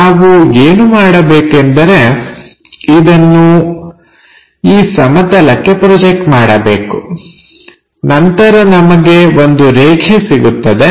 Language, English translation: Kannada, Project this onto this plane then we have a line